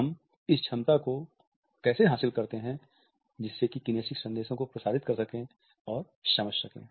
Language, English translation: Hindi, But, how do we acquire this capability to transmit and understand kinesic messages